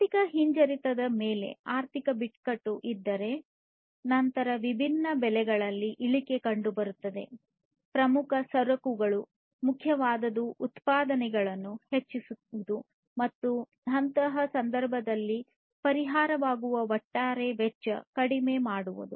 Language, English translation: Kannada, So, if there is economic crisis on recession then there will be reduction in prices of different major commodities and what is important is to increase the productivity and reduce the overall cost that becomes the solution in such a case